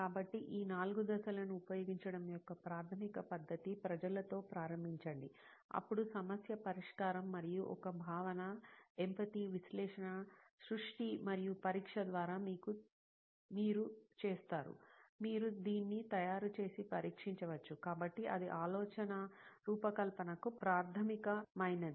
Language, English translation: Telugu, So this is the basic methodology of using 4 steps, start with people, then the problem, solution and a concept, how you do is through empathy, analysis, creation and testing, you can make it and test it, so that is what is the basic of designing thinking